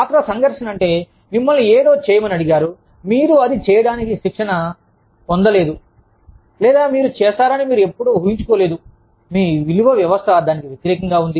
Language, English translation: Telugu, Role conflict refers to, you being asked to do something, that you are either not trained to do, or, you did not imagine yourself doing, or, something that is in conflict, with your value system